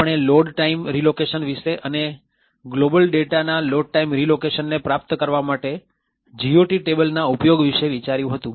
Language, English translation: Gujarati, So, we looked at load time relocatable and the use of GOT tables to achieve Load time relocation of global data